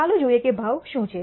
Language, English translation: Gujarati, Let us look at what is the price